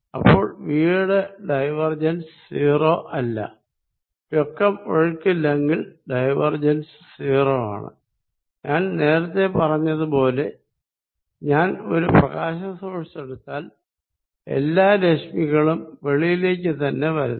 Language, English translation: Malayalam, So, divergence of v not zero, if there is no net flow divergence of v is 0, as I said earlier if I take a point source of light, all the rates are diverging from it